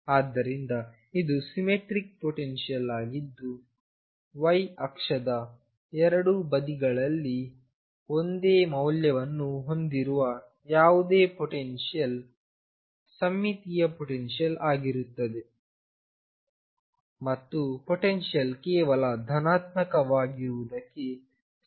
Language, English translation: Kannada, So, this is a symmetric potential any potential that has exactly the same value on 2 sides of the y axis is a symmetric potential and does not confine to potential being only positive